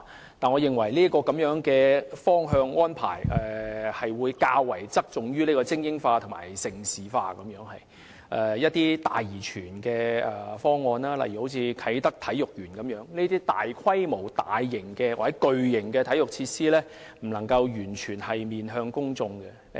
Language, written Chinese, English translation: Cantonese, 然而，我認為這方向或安排會較側重於精英化及盛事化，以致一些"大而全"的方案，例如啟德體育園一類的大規模、大型或巨型體育設施，不能夠完全面向公眾。, But I think this direction or arrangement may tilt towards supporting elite sports and developing Hong Kong into a prime destination for hosting major international sports events with the result that some massive and comprehensive projects such as those large - scale extensive or mega - sized sports facilities like the Kai Tak Sports Park cannot fully reach out to people